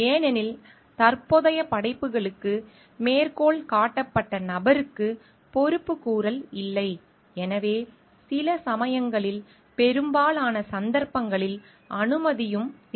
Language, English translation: Tamil, Because, there is no accountability so, of the person who is citing cited for the present works so, sometimes in most cases permission is not required also